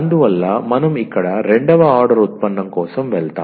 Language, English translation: Telugu, So, we will we go for the second order derivative here